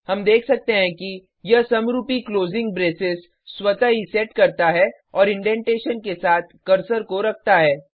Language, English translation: Hindi, We can see that it automatically sets the corresponding closing braces and also positions the cursor with indentation